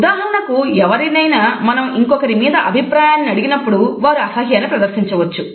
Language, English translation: Telugu, You could ask your opinion about someone and they might show disgust